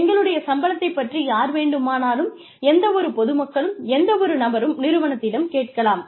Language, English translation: Tamil, Anyone, any public, any person, can ask the organization, what our salary scales are